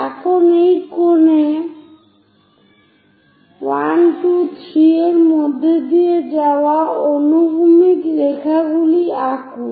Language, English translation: Bengali, Now draw horizontal lines passing through 1, 2, 3 on this cone